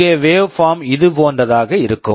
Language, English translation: Tamil, Here the waveform will look something like this